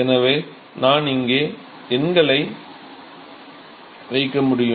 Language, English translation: Tamil, So, I can put the numbers here